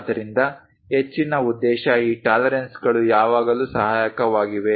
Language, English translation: Kannada, So, further purpose these tolerances are always be helpful